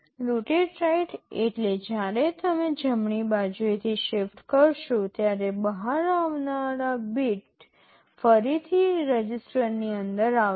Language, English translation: Gujarati, Rotate right means when you shift right the last bit coming out will again get inside the register